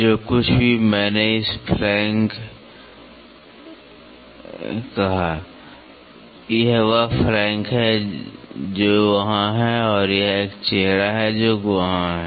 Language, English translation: Hindi, Whatever, I called it as the flank it is this is the flank which is there and this is a face which is there